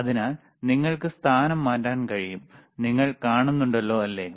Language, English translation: Malayalam, So, you can change the position, you see